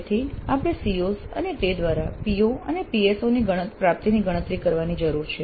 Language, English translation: Gujarati, So we need to compute the attainment of COs and thereby POs and PSOs